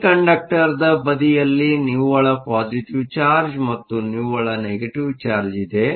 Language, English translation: Kannada, There is a net positive charge on the semiconductor side and there is a net negative charge